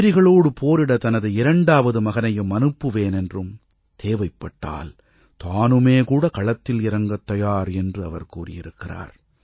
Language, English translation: Tamil, He has expressed the wish of sending his second son too, to take on the enemy; if need be, he himself would go and fight